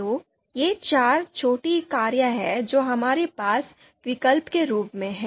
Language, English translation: Hindi, So these are four small cars that we have as alternatives